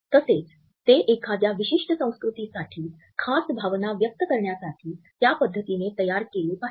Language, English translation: Marathi, Or should they be tailored to express emotions in such a manner which are a specific to a particular culture